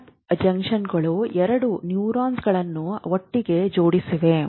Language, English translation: Kannada, Gap junctions means two neurons are attached